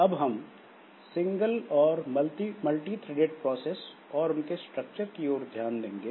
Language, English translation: Hindi, So, so, so, we'll be looking into the single and multi threaded processes they are structured